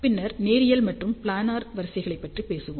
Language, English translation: Tamil, Then we will talk about linear and planar arrays